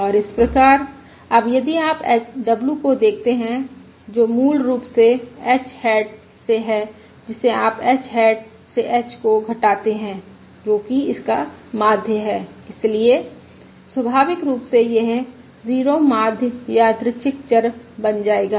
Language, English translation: Hindi, And therefore now if you look at w, which is basically from h hat, which you from h hat, you subtract h, which is the mean